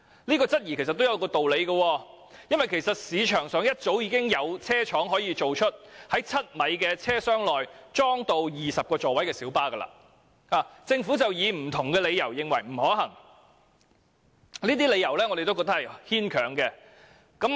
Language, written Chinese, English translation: Cantonese, 這質疑其實亦不無道理，因為市場上早已有車廠能夠生產可在7米車廂內裝置20個座位的小巴，只是政府以不同的理由認為並不可行，但我們覺得這些理由十分牽強。, The suspicion is actually not unfounded . Some manufacturers in the market have already been producing light buses 7 m in length which can accommodate 20 seats for some time but the Government has given various reasons to argue that the proposal is unfeasible . We find such reasons hardly plausible